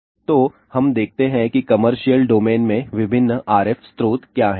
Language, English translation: Hindi, So, let us look at what are the different RF sources in the commercial domain